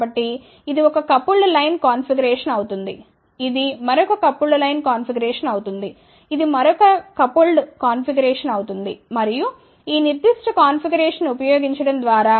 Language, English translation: Telugu, So, that becomes one coupled line configuration, this becomes another coupled line configuration, this becomes another coupling configuration and by using this particular configuration